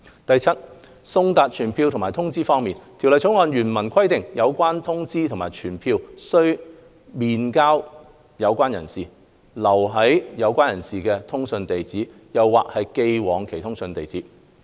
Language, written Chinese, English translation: Cantonese, 第七，送達傳票或通知方面，《條例草案》原文規定有關通知或傳票須面交有關人士、留在有關人士的通訊地址，或寄往其通訊地址。, Seventhly as regards the service of summonses or notices the original text of the Bill provides that a notice or summons should be served by delivering it to the person concerned personally or by leaving it at or sending it by post to that persons correspondence address